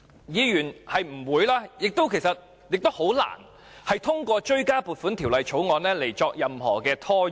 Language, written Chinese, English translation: Cantonese, 議員不會也難以透過追加撥款條例草案作出任何拖延。, Members would not and could hardly cause any delay through a supplementary appropriation Bill